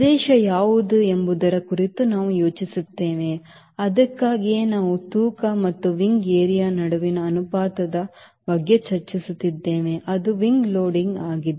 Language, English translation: Kannada, that is why we are discussing about ratio between weight and the wing area, that is, wing loading